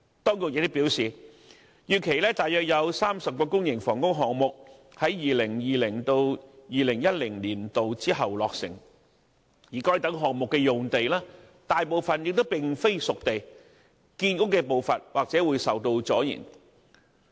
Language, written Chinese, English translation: Cantonese, 當局亦表示，預期約有30個公營房屋項目在 2020-2021 年度之後落成，而該等項目的用地大部分並非"熟地"，建屋的步伐或受阻延。, Also the authorities have advised that about 30 public housing projects are expected to be completed in 2020 - 2021 or beyond and since most of the sites identified for such projects are not spade ready the pace of housing production may be delayed